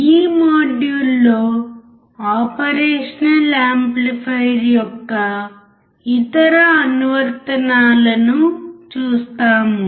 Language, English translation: Telugu, In this module we will see the other applications of operational amplifier